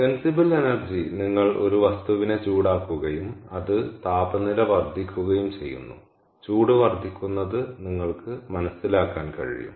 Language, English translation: Malayalam, so sensible energy is when you heat up a material and its temperature rises, so you can sense that heat gain